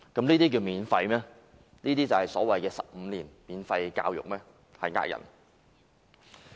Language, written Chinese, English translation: Cantonese, 由此可見，所謂的15年免費教育有欺騙市民之嫌。, As such the promise of providing 15 - year free education is just cheating the public